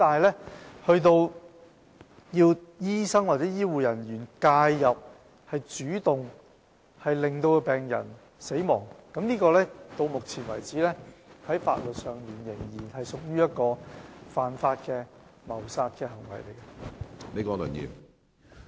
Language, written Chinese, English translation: Cantonese, 不過，由醫生或醫護人員介入並主動令病人死亡的行為，到目前為止，在法律上仍屬犯法的謀殺行為。, However the intervention and proactive act to end patients lives by doctors or healthcare officers are still regarded as an act of murder which is illegal